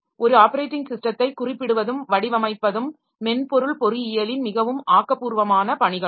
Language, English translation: Tamil, Specifying and designing and operating system is highly creative task of software engineering